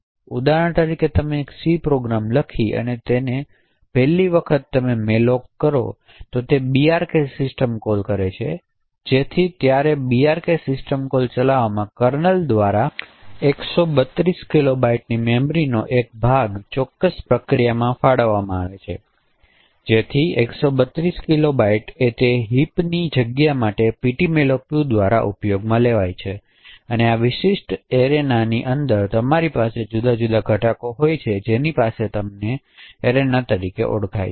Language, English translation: Gujarati, So for example if you write a C program and the 1st time you invoke the malloc call with that C program internally what malloc is going to do is that it is going to invoke the brk system call, so when the brk system call gets executed by the kernel the kernel would allocate a chunk of memory of size 132 kilobytes to the particular process, so that 132 kilobytes is used by the ptmalloc2 for its heap space, so within this particular area you have different components you have something known as Arena, then within the arena you have heaps and within the heaps you memory chunks